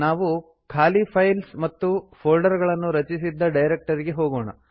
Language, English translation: Kannada, We will move to the directory where we have created empty files and folders